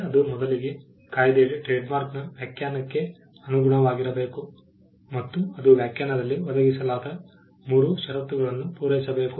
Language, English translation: Kannada, First, it should conform to the definition of trademark under the act and it should satisfy the 3 conditions provided in the definition